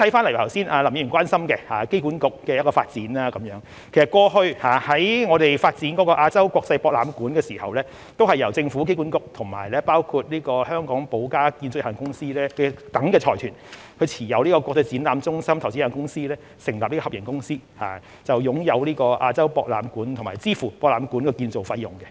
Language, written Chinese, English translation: Cantonese, 對於剛才林議員關心的機管局的一項發展，過去我們發展亞洲國際博覽館時，都是由政府及機管局與包括香港寶嘉建築有限公司等財團持有的國際展覽中心投資有限公司，成立合營公司，擁有亞洲國際博覽館和支付博覽館的建造費用。, As regards a development project of HKAA which is of concern to Mr LAM in the development of AsiaWorld - Expo before the Government and HKAA also set up a joint venture company with IEC Investments Limited made up of consortiums including Dragages Hong Kong Ltd to own AsiaWorld - Expo and to finance its construction